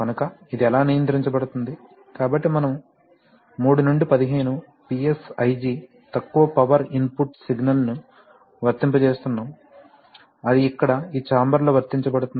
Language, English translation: Telugu, So how it is being controlled, so we are applying a 3 to 15 PSIG input signal which is a low power input signal that is being applied here in this chamber